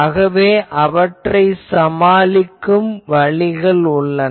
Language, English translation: Tamil, So that time, there are ways how to tackle those